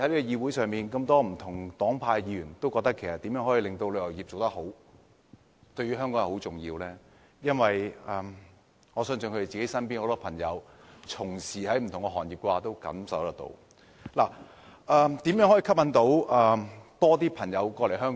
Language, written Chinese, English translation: Cantonese, 議會中不同黨派的議員都覺得旅遊業對香港很重要，我相信是因為他們見到身邊從事不同行業的朋友都受到旅遊業衰退的影響。, Members of this Council belonging to different political parties and groupings think that the tourism industry is very important to Hong Kong and I believe that is because they have seen the impact of the downturn of the tourism industry on different industries and trades